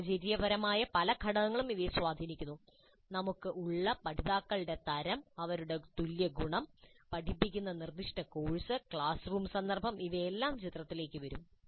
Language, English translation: Malayalam, Many situational factors influence these, the kind of learners that we have, the kind of homogeneity that we have, the specific course that is being taught, the classroom context, all these would come into the picture